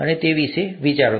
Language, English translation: Gujarati, And think about that